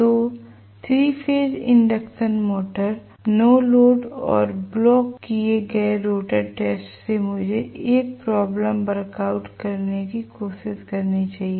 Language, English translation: Hindi, So, 3 phase induction motor no load and blocked rotor test let me try to work out 1 problem